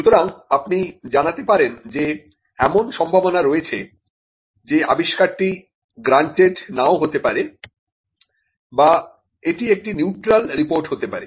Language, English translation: Bengali, So, you communicate that there is a possibility that the invention may not be granted, or it could be a neutral report